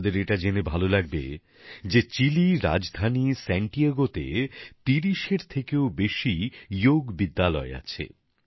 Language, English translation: Bengali, You will be pleased to know that there are more than 30 Yoga schools in Santiago, the capital of Chile